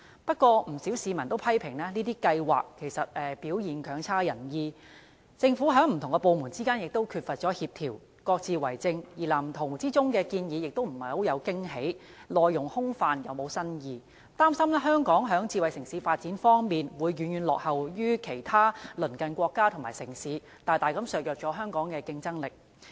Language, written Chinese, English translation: Cantonese, 不過，不少市民均批評計劃表現強差人意，政府不同部門之間亦缺乏協調，各自為政，而《藍圖》內的建議亦欠缺驚喜，內容既空泛又沒有新意，擔心香港在發展智慧城市方面會遠遠落後於其他鄰近國家和城市，大大削弱香港的競爭力。, Moreover different government departments lack coordination and work on their own . Not only do the proposals put forward in the Blueprint contain no surprises but they are also vague and uninspiring . I am worried that Hong Kong will lag far behind other neighbouring countries and cities in smart city development thereby greatly undermining its competitive edge